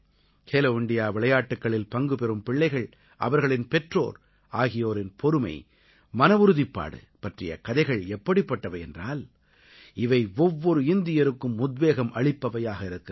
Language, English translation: Tamil, The stories of the patience and determination of these children who participated in 'Khelo India Games' as well as their parents will inspire every Indian